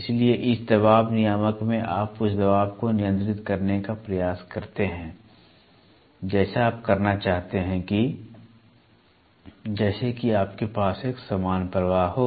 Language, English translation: Hindi, So, in this pressure regulator you try to control what is the pressure you want to have such that you have a uniform flow